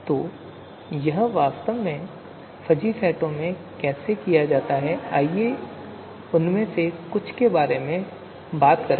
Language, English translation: Hindi, So how they all this is actually done in fuzzy sets, so we will talk about some of that